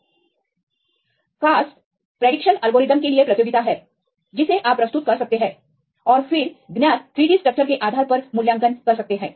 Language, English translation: Hindi, CASP is the competition for the structural prediction algorithms right you can submit and then will evaluate based on known 3D structures